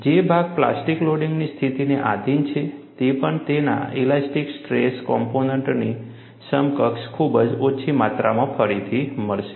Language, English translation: Gujarati, The portion, which is subjected to plastic loading condition will also recover, by a very small amount equivalent to its elastic strain component